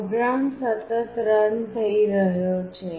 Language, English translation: Gujarati, The program is continuously running